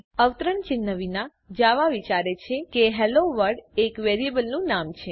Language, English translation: Gujarati, Without the quotes, Java thinks that HelloWorld is the name of a variable